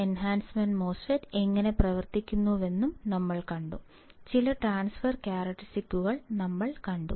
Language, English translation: Malayalam, Then, we have seen how the enhancement MOSFET works; we have seen some transfer characteristics